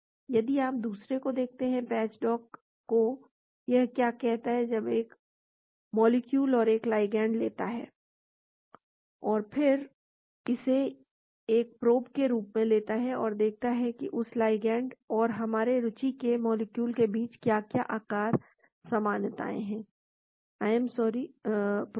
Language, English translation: Hindi, If you look at the other one, the patch dock, what it does is say; it takes a molecule and a ligand and then it takes it as a probe and see what is the shape similarity between that ligand and particular molecule of interest; I am sorry, protein